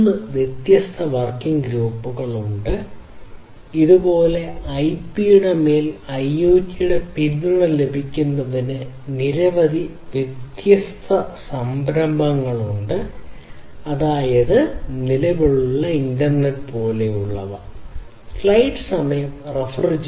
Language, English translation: Malayalam, 3 different working groups are there like this there are multiple different initiatives in order to have support of I IoT over IP; that means, the existing internet